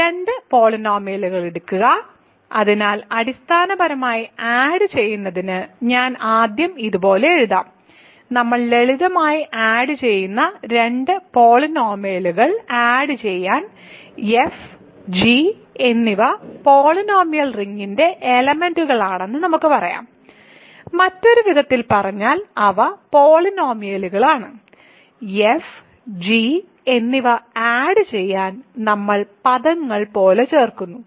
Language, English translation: Malayalam, So, take two polynomials; so basically to add I will write it like this first, to add two polynomials we simply add, let us say f and g are elements of the polynomial ring, in other words they are polynomials, to add f and g we add like terms ok